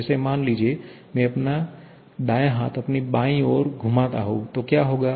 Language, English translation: Hindi, Like let us suppose if I have, I move my right hand over my left one, then what will happen